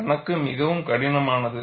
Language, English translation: Tamil, The problem is very complex